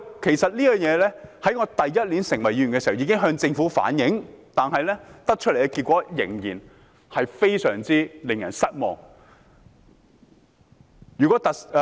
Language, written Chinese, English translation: Cantonese, 其實，在我第一年出任議員時，便已向政府反映這事，但所得的結果仍然非常令人失望。, In fact I already conveyed this matter to the Government the first year when I took office as a Member but the result has remained utterly disappointing